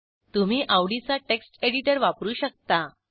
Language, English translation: Marathi, You are free to use your favourite text editor